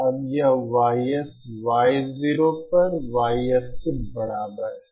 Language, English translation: Hindi, Now and this YS is equal to YSs upon Y 0